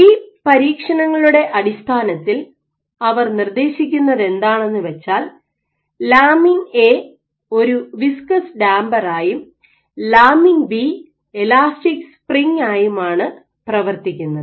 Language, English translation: Malayalam, So, what it is also suggested so based on their experiments they suggested that lamin A acts like a viscous damper, and lamin B acts as a elastic spring